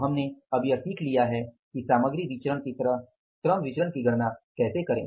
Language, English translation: Hindi, So, now we have learned about that how to calculate the labor variances like the material variances